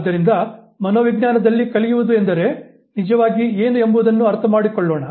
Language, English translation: Kannada, So, let us understand what actually we mean by learning in psychology